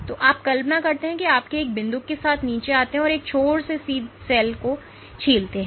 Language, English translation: Hindi, So, you imagine you come down with a pipette and peel the cell from one end